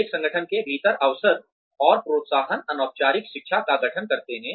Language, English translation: Hindi, The opportunities and encouragement, within an organization, constitute informal learning